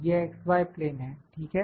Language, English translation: Hindi, This is x y plane, ok